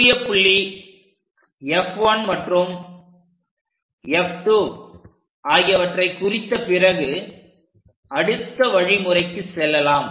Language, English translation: Tamil, So, once we locate this F 1 foci, F 2 focus, then we will go with the next step